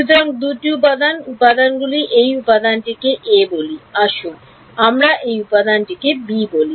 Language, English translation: Bengali, So, these are the 2 elements, elements let us call this element ‘a’ let us call this element ‘b’